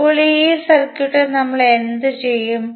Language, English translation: Malayalam, Now, in this particular circuit what we will do